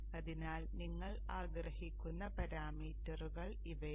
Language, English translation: Malayalam, So these are the parameters that you would like to